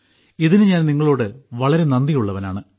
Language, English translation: Malayalam, I am very thankful to you for that